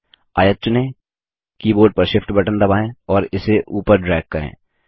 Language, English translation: Hindi, Select the rectangle, press the Shift key on the keyboard and drag it upward